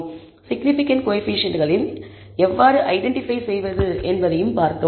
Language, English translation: Tamil, We also saw how to identify the significant coefficients